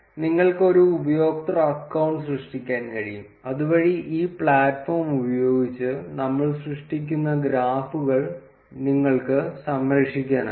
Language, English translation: Malayalam, You can create a user account, so that you can save the graphs that we generate using this platform